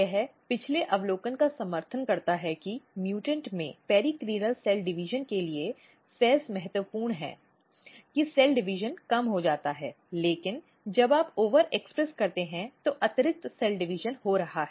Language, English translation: Hindi, So, this basically supports the previous observation that FEZ is important for periclinal cell division in mutant that cell division is decreased but when you overexpress there is additional cell division takes place